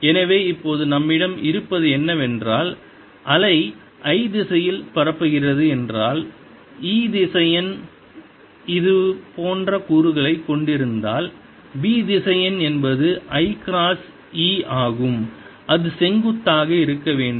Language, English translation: Tamil, so what we have now is that if the wave is propagating in the i direction, if e vector has components like this, the b vector has to be i cross e